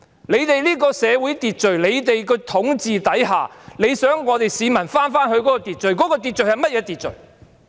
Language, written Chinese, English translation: Cantonese, 在政府的社會秩序和統治之下，想市民返回秩序，秩序是甚麼呢？, Under the social order and its rule the Government wants the citizens to return to order . But what is this order?